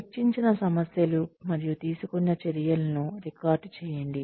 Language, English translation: Telugu, Record the issues discussed, and the action taken